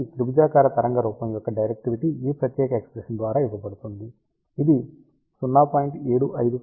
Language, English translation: Telugu, So, directivity of triangular waveform is given by this particular expression, you can see that it is reduced by a factor of 0